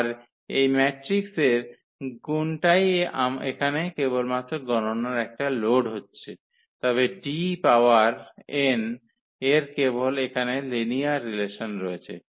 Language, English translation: Bengali, So, that is the only computation load here for this matrix multiplication, but for D power n only that linear relations here